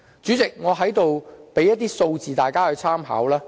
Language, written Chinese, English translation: Cantonese, 主席，我在這裏提供一些數字讓大家參考。, President let me provide some figures here for Members reference